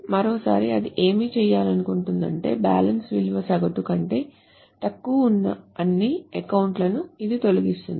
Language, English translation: Telugu, Once more, so what it tries to do is it deletes all accounts where the balance is less than the average